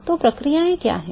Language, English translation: Hindi, So, what are the processes